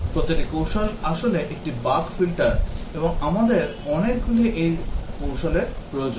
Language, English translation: Bengali, Each strategy is actually a bug filter, and we need many of these strategies